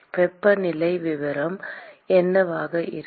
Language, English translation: Tamil, What will be the temperature profile